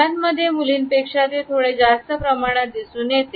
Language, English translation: Marathi, This comes across and guys a little bit more prominently than in girls